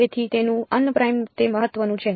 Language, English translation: Gujarati, So, its un primed that is important